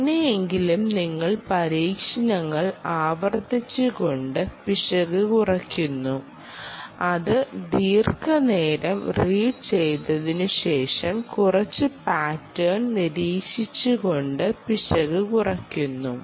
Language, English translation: Malayalam, somehow you reduce the error by repeating with experiments, by reading it for long durations of time and then observing some pattern, and then somehow you reduce the error